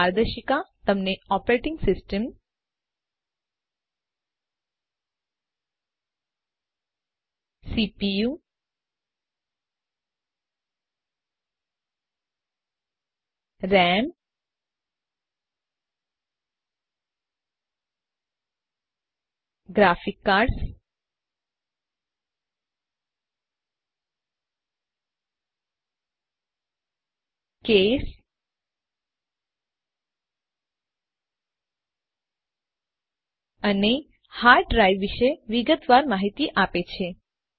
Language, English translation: Gujarati, This guide gives you detailed information about Operating system, CPU, RAM, Graphics card, Case, and hard drive